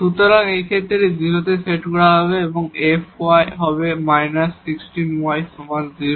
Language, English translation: Bengali, So, in this case this will be set to 0 and this fy will be minus 16 y is equal to 0